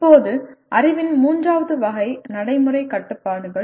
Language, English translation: Tamil, Now, the third category of knowledge is Practical Constraints